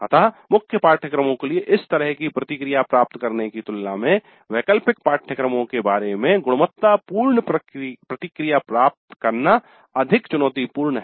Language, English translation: Hindi, So getting quality feedback regarding elective courses is more challenging than getting such feedback for core courses